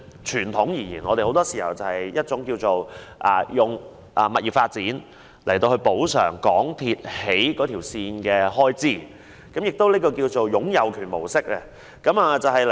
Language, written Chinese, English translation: Cantonese, 傳統而言，我們很多時候是以物業發展來補償港鐵公司興建鐵路的開支，這亦稱為"擁有權模式"。, Traditionally more often than not the authorities would compensate MTRCL for expenditure incurred in the construction of railways with the rights to property development which is also called the ownership approach